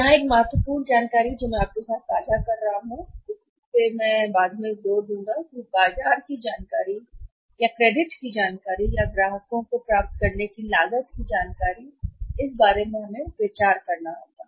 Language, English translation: Hindi, Here, one important information which I am not sharing with you is, I will add up later on that is the cost of say say getting the market information or the credit information or the customers information that cost is we have to consider it later on